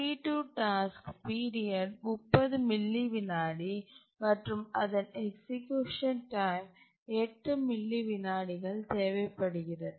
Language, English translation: Tamil, The task T2 requires 8 millisecond execution time but has a period 30 millisecond